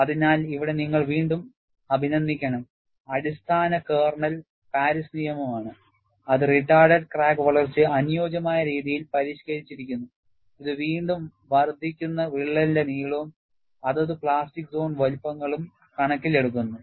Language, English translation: Malayalam, So, here again you should appreciate, the basic kernel is Paris law, which is suitably modified to account for retarded crack growth, which again comes in terms of what is a incremental crack length plus the respective plastic zone sizes